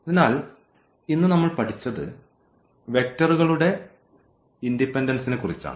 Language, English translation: Malayalam, So, what we have learnt today, it is about the linear independence of the vectors